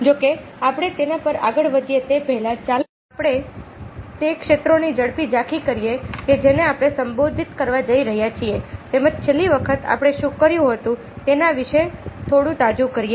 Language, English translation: Gujarati, however, before we go on to that, lets have a quick over view of the areas that we are going to address, as well as, ah, the ah, a bit little bit of referencing of what we had done in the last time